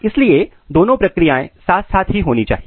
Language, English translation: Hindi, So, both the process has to be maintained simultaneously